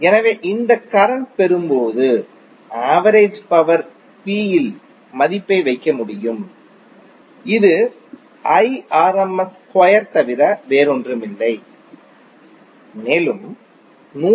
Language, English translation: Tamil, So when you get this current can simply put the value in the average power P that is nothing but Irms square of and you will get the power absorbed by the resistor that is 133